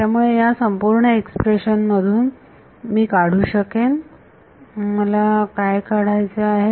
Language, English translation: Marathi, So, from this entire expression, I can extract, what do I want to extract